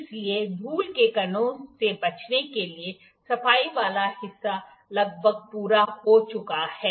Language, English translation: Hindi, So, as to avoid any dust particles the cleaning part is almost done